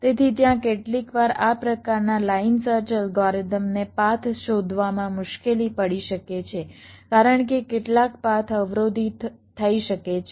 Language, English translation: Gujarati, so there, sometimes the line such algorithm may find difficulty in finding a path because some of the paths may be blocked